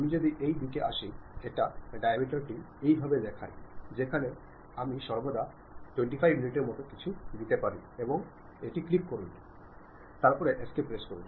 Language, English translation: Bengali, If I come in this direction, it shows diameter in this way where I can always give something like 25 units, and click OK, then press escape